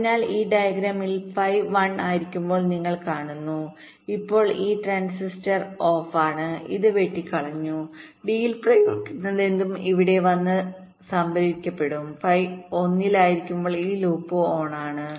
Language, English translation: Malayalam, so so in this diagram you see, when phi one is one, then this transistor is off, this is cut, and whatever is applied at d will come here and get stored here, and when phi one is one, this loop is on and whatever is shored here is stored